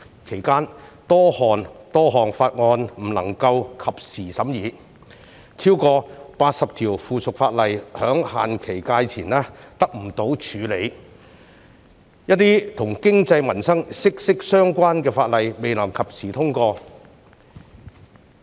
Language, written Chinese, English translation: Cantonese, 其間多項法案無法及時審議，超過80項附屬法例在限期屆滿前得不到處理，一些跟經濟民生息息相關的法例亦未能及時通過。, During that period the Legislative Council was unable to conduct timely examination of its business as more than 80 items of subsidiary legislation were not dealt with before the expiry of their scrutiny periods . Many livelihood - related laws were unable to be passed in time